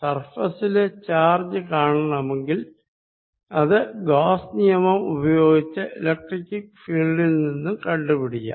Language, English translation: Malayalam, if i want to find the charge on the surface, i will find the electric field here and by gauss's law, related to the surface charge